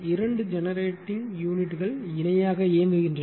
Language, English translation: Tamil, Now, suppose you have two generating units operating in parallel